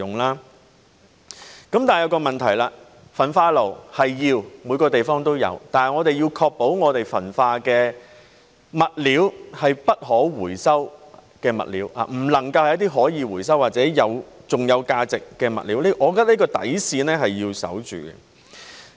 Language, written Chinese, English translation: Cantonese, 可是，這便有一個問題，焚化爐是需要的，每個地方都有，但我們要確保焚化的物料是不可回收的物料，不能夠是一些可以回收或還有價值的物料，我覺得這條底線是要守護的。, But there is a problem here . Incinerators are what we do need just as it is needed in all places but we must ensure that the materials to be incinerated are non - recyclables . They cannot be recyclable materials or materials that still have value